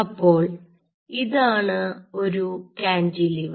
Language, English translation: Malayalam, so here you have a cantilever right